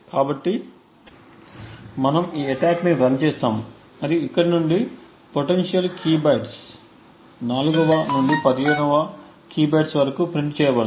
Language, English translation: Telugu, So, in order to run we just run the attack and what gets printed are the potential key bytes from here onwards that is 4th to the 15th key bytes